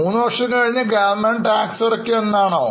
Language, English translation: Malayalam, Does it mean after three years government will pay you tax